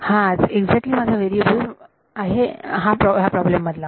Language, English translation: Marathi, That was exactly my variable in the problem